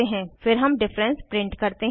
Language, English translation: Hindi, Then we print the difference